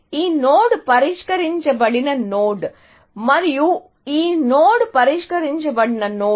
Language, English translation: Telugu, This node is a solved node, and this node is a solved node